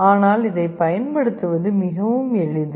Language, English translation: Tamil, But to use it is extremely simple